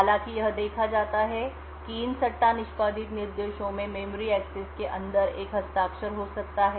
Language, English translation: Hindi, However, what is seen is that these speculatively executed instructions may have a signature inside the memory axis